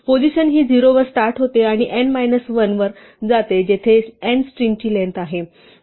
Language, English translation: Marathi, The position start numbering at 0 and go up to n minus one where n is the length of the string